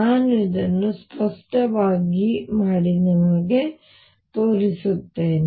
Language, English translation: Kannada, Let me do this explicitly and show it to you